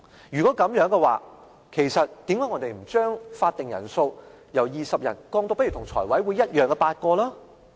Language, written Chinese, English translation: Cantonese, 如果是這樣，其實我們為何不將法定人數由20人降至跟財務委員會相同的8人？, If so why should we not further reduce the quorum from 20 Members as proposed to 8 Members to be in line with the requirement of the Finance Committee?